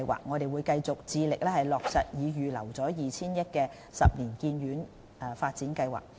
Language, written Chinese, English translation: Cantonese, 我們會繼續致力落實已預留 2,000 億元的十年醫院發展計劃。, We will continue our efforts to implement the 10 - year Hospital Development Plan for which a sum of 200 billion has already been earmarked